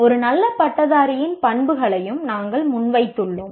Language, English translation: Tamil, This is what we presented the characteristics of any good graduate